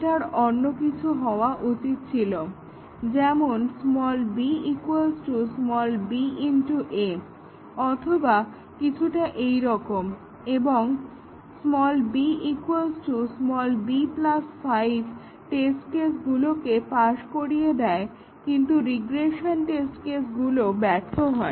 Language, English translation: Bengali, It could, should have been something else, like b is equal to b into a or something here; and b equal to b plus 5 makes this test case pass, but the regression test cases fail